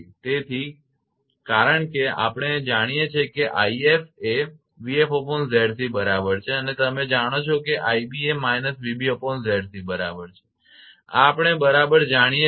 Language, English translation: Gujarati, So, since we know i f is equal to v f upon Z c and you know i b is equal to minus v b upon Z c this we know right